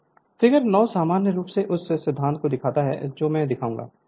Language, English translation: Hindi, So, figure I will come, so figure 9 in general illustrates the principle next I will show